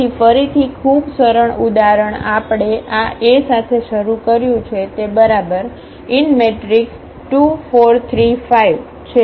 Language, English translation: Gujarati, So, again very simple example we have started with this A is equal to 2 4 and 3 5